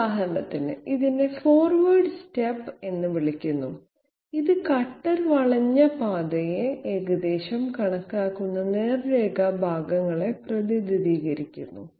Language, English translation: Malayalam, For example, this one is called the forward step, what is this; it represents those straight line segments by which the cutter approximates the curvilinear path